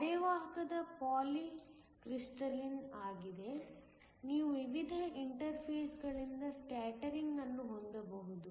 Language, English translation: Kannada, A semiconductor is polycrystalline, you could have scattering from the various interfaces